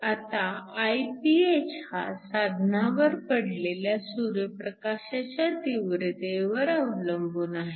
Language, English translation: Marathi, Now, Iph depends upon the intensity of solar light that is shining on your device